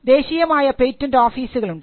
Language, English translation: Malayalam, So, this is the national patent regime